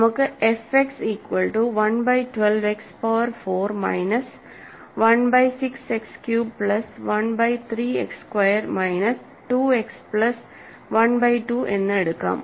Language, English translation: Malayalam, So, let us take f X to be, I am not take this 1 by 12 X power 4 by time minus 1 by 6 X cube plus 1 by 3 X squared minus 2 X plus 1 by 2